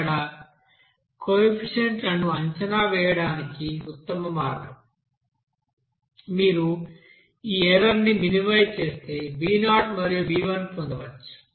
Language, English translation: Telugu, So the best way of estimation of the coefficients, here b0 and b1 can be obtained if you minimize this error there